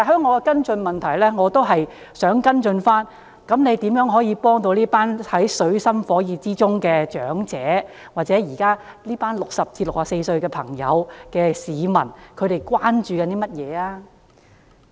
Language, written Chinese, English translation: Cantonese, 我在跟進質詢中問及如何幫助這群處於水深火熱之中的長者，現時60至64歲的市民關注甚麼？, In the follow - up question I asked how we could help this group of elderly people who are suffering immensely and what were the prevalent concerns of people aged 60 to 64